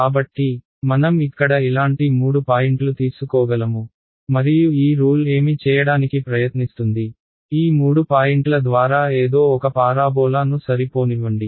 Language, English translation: Telugu, So, I can take some three points like this over here, and what this rule will try to do is ok, let me somehow fit a parabola through these three points